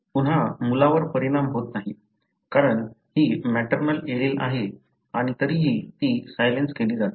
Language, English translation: Marathi, Again the son is not affected, because this is maternal allele and it is silenced anyway